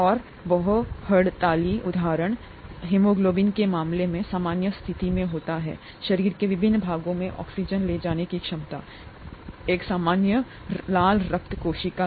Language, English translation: Hindi, And a very striking example is the case of haemoglobin in the normal case it results in the normal ability to carry oxygen to various parts of the body, a normal red blood cell